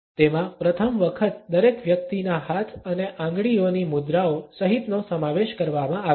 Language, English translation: Gujarati, Including for the first time the pose of each individuals hands and fingers also